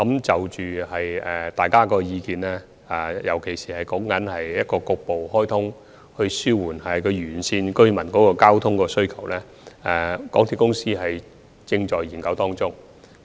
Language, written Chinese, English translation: Cantonese, 就大家的意見，尤其是沙中線局部開通來紓緩沿線地區居民的交通需求，港鐵公司正在研究中。, As regards the views of Members especially the view on partial commissioning of SCL to alleviate the traffic demand from the residents along that railway line they are now being studied by MTRCL